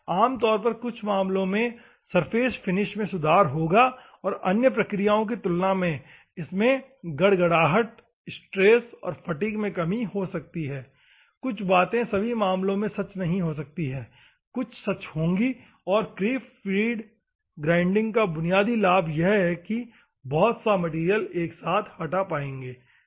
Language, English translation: Hindi, Normally in some cases the surface finish will be improved,, and burr reduction compared to other processes and reduced stress and fatigue, some of the things may not be true for all the cases some of the things will be true, and the basic advantage of creep feed grinding is the stock removal will be very high, ok